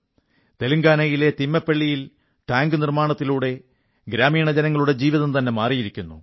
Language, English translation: Malayalam, The construction of the watertank in Telangana'sThimmaipalli is changing the lives of the people of the village